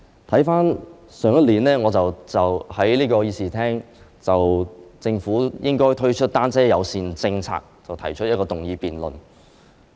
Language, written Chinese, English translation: Cantonese, 回看去年，我在這個議事廳就政府應該推出單車友善政策這項議題，提出議案辯論。, Last year in this Chamber I proposed a motion on introducing a bicycle - friendly policy by the Government for debate